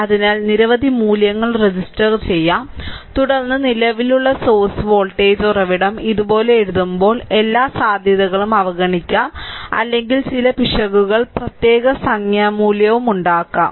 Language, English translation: Malayalam, So, many register values, then current source voltage source while I making write writing like this there is every possibility I can overlook or I can make some error also particular numerical value